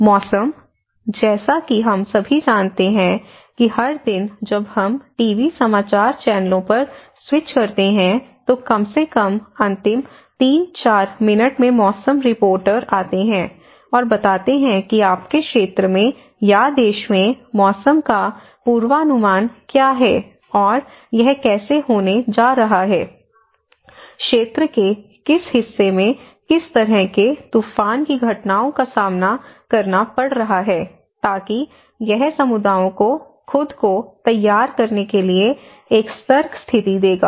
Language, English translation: Hindi, And weather; as we all know that every day when we switch on the TV news channels, so at least the last 3, 4 minutes, the weather reporter comes and explains that in your region or in the country, what is the weather forecast and how it is going to be, what kind of storm events are going to face in which part of the area, so that it will give an alert situation for the communities to prepare themselves